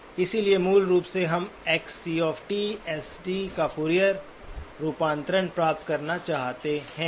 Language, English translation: Hindi, So we would like to get the Fourier transform of this signal